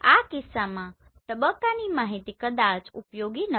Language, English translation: Gujarati, In this case the phase information is probably not useful